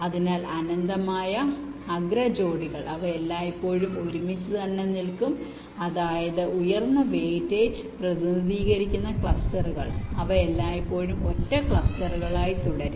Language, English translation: Malayalam, so the infinite edge pair of vertices, they will always remain together, which means those clusters which are representing higher voltage, they will always remain as single clusters